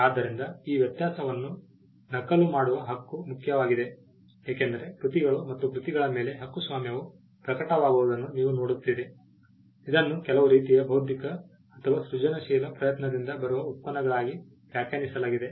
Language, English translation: Kannada, So, the right to make copies this distinction is important because, you will see that copyright manifest itself on works and works have been largely defined as products that come from some kind of an intellectual or a creative effort